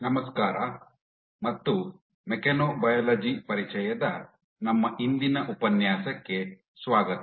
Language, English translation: Kannada, Hello and welcome to our today’s lecture of Introduction to Mechanobiology